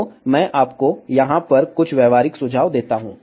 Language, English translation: Hindi, So, let me give you some practical tips over here